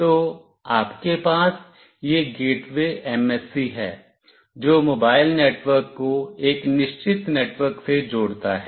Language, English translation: Hindi, So, you have this gateway MSC, which connects mobile network to a fixed network